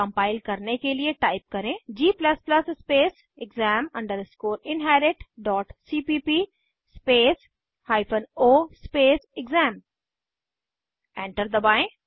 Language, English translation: Hindi, To compile, type g++ exam inherit.cpp o exam Press Enter